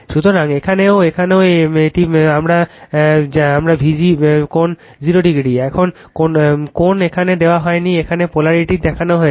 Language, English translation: Bengali, So, here also here also your what you call this is also my V g angle 0, angle is not shown here, polarity is shown here